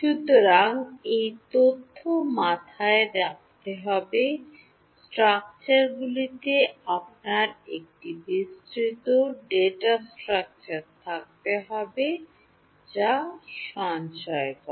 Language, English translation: Bengali, So, this has to be kept in mind in the data structures you need to have a elaborate data structure that stores